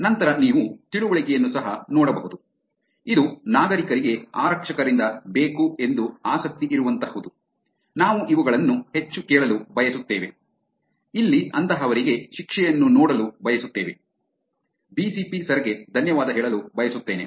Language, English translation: Kannada, Then you can also look at understanding wants, which is what is that citizens are interested in wanting from police, this we like want to hear more of these, here want to see the punishment of such people, want to say thanks to BCP Sir